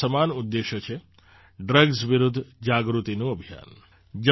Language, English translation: Gujarati, And this common cause is the awareness campaign against drugs